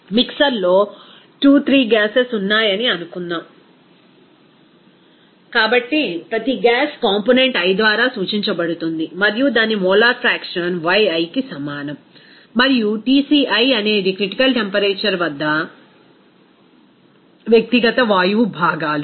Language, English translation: Telugu, Suppose there are 2 3 gases in a mixer, so each gas component will be represented by i and its molar fraction will be is equal to Yi and Tci is the individual gas components at critical temperature